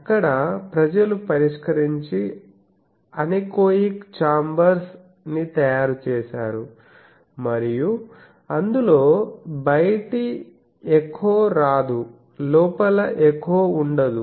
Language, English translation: Telugu, People have solved there made anechoic chambers and so that no outside echo comes, no inside echo comes